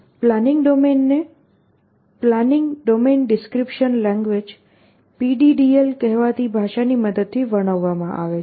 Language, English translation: Gujarati, The planning domain is described using a language called a planning domain description language